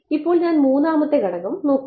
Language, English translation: Malayalam, Now, I am looking at the 3rd component